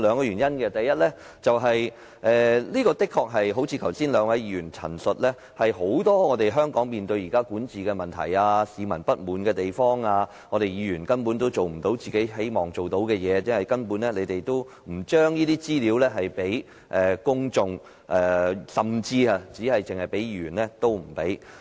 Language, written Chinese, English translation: Cantonese, 原因有二：第一，誠如剛才兩位議員所述，香港現時面對很多管治問題，市民有不滿意的地方，而議員亦做不到自己想做的事，因為政府拒絕把資料給予公眾，甚至拒絕給予議員。, The reasons are of twofold . Firstly just as the two Members said a moment ago Hong Kong is confronted with many governance problems . The public have dissatisfactions while Members fail to achieve what they want to do because the Government refuses to release the information to the public or even to Members